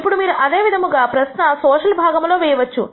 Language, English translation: Telugu, Now, you can ask similar question in the social sector